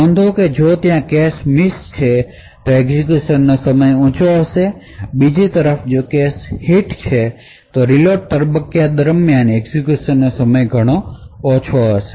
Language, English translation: Gujarati, So, note that if there is a cache miss, then the execution time will be high, on the other hand if a cache hit occurs then the execution time during the reload phase would be much lower